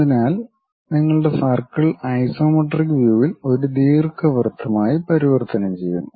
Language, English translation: Malayalam, So, your circle converts into ellipse in the isometric view